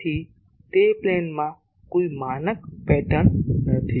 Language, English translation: Gujarati, So, there is no standard pattern in that plane